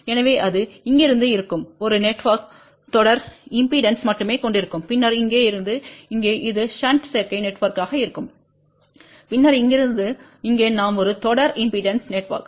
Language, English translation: Tamil, So, this will be from here to here one network which consist of only series impedance, then from here to here it will be the shunt admittance network and then from here to here we will have a series impedance network